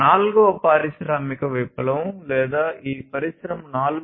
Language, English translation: Telugu, The fourth industrial revolution or this industry 4